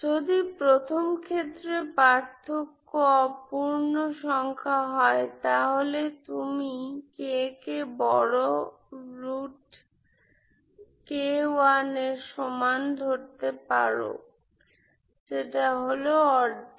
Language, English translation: Bengali, So start with this case 1 when the difference is non integer you put k equal to bigger root k 1 which is half